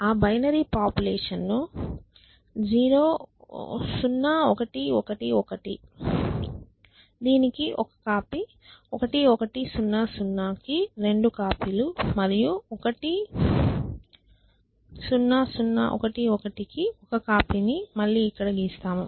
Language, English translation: Telugu, So, let us redraw that population so 0 1 1 1 copy of this 2 copies of this and one copy of this